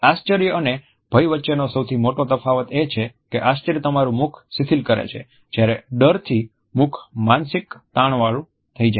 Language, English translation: Gujarati, The biggest difference between this and fear is that surprise causes your mouth to be loose, while fear the mouth is tensed